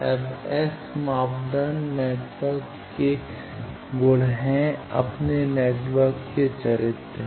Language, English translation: Hindi, Now, S parameters are properties of network their characters of network